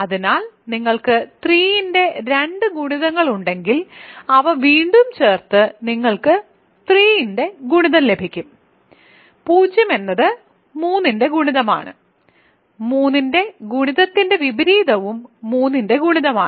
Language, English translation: Malayalam, So, if you have 2 multiples of 3 you add them you get an again a multiple of 3, 0 is there inverse of a multiple of 3 is also a multiple of 3 and so on